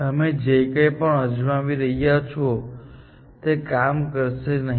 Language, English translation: Gujarati, Anything you try below this is not going to work